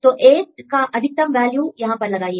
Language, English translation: Hindi, So, put the maximum value of 8 here